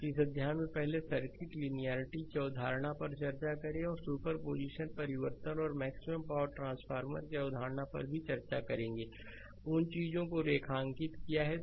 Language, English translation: Hindi, And in this chapter right, we first discuss the concept of circuit linearity and in also will discuss the concept of super position source transformation and maximum power transfer, I have underlined those things